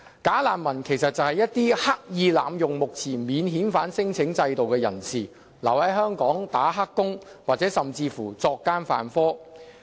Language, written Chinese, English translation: Cantonese, "假難民"其實是一些刻意濫用目前免遣返聲請制度的人士，他們留在香港"打黑工"，或甚至作奸犯科。, Bogus refugees are people who intentionally exploit the existing system for lodging non - refoulement claims . They stay in Hong Kong taking up illegal employment or even committing crimes